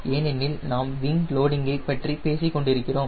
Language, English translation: Tamil, because we have been talking about wing loading